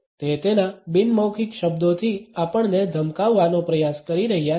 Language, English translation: Gujarati, He is trying to intimidate us with his nonverbals